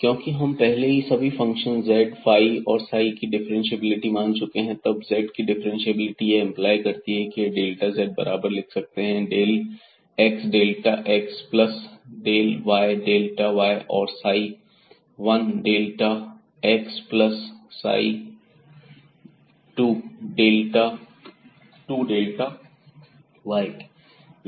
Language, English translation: Hindi, And since we have assumed already the differentiability of all these functions z phi and psi, then differentiability of z will imply that we can write down this delta z is equal to del x delta x plus del y delta y and psi 1 delta x plus psi 2 delta y